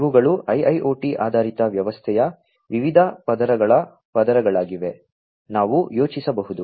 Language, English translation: Kannada, So, these are the different layers of layers of an IIoT based system, that we can think of